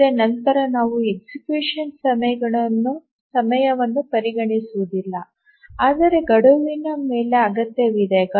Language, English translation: Kannada, But then we don't consider how much execution time is required over the deadline